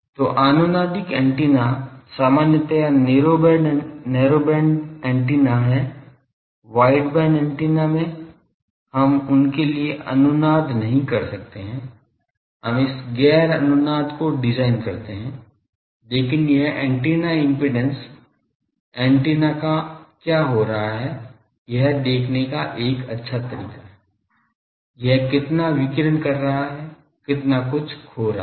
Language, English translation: Hindi, So, resonant antenna is the normally narrow band antennas at wideband antennas, we cannot make resonant for them we design these non resonant, but this antenna impedance is a good way of seeing what is happening to the antenna, how much it is radiating how much it is losing